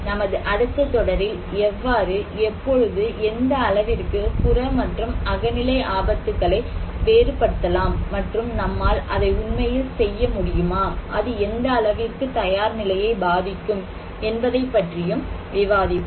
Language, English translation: Tamil, In our next series, we will discuss on this aspect that how, when, what extent we can distinguish between objective risk and subjective risk and can we really do it, so and what and how extent it will affect the preparedness